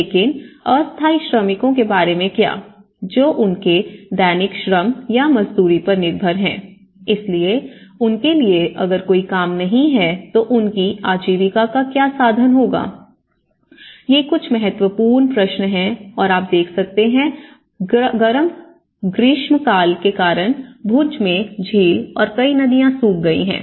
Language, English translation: Hindi, But what about the temporary workers, who are depending on their daily labor or daily wages, so for them if there is no work what happens to the livelihood, these are some of the important questions and due to the hot summers you can see the whole lake in Bhuj has been dried, many rivers have been dried out